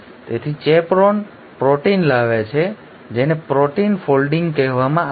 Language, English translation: Gujarati, So, chaperone proteins bring about what is called as protein folding